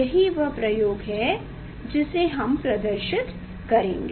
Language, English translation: Hindi, that is the experiment we will demonstrate